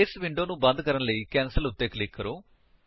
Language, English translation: Punjabi, Click on Cancel to close this window